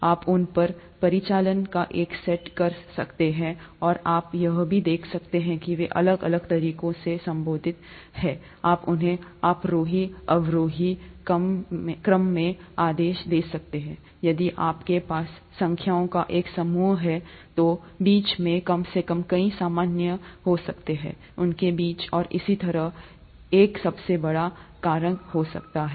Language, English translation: Hindi, You can perform a set of operations on them, and, you can also see that they are related in different ways, you could order them in an ascending descending order, if you have a set of numbers, there could be a least common multiple among them, there could be a highest common factor among them and so on